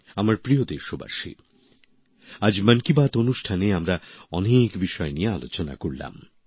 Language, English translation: Bengali, My dear countrymen, today in 'Mann Ki Baat' we have discussed many topics